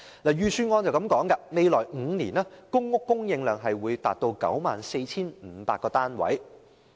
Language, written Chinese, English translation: Cantonese, 預算案指公屋供應量在未來5年會達到 94,500 個單位。, The Budget states that the public housing supply volume will reach 94 500 units within the next five years